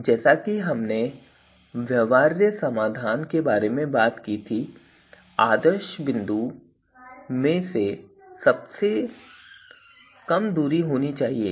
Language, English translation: Hindi, And and where feasible solution as we talked about it should have the shortest distance from the ideal point